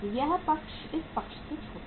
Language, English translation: Hindi, This side is shorter than this side